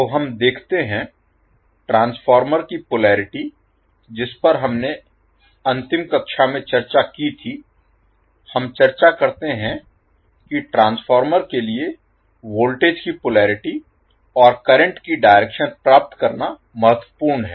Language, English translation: Hindi, So, let us see, the transformer polarity which we discuss in the last class, we discuss that it is important to get the polarity of the voltage and the direction of the current for the transformer